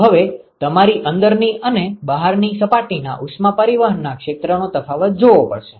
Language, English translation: Gujarati, So, now, you have to distinguish between the inside and the outside surface area of heat transfer ok